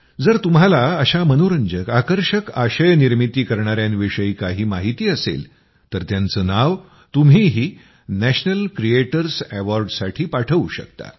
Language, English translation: Marathi, If you also know such interesting content creators, then definitely nominate them for the National Creators Award